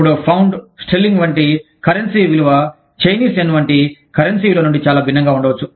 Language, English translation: Telugu, Now, the value of, say, a currency like, Pound, Sterling, may be very different, from the value of a currency like, say, The Chinese Yen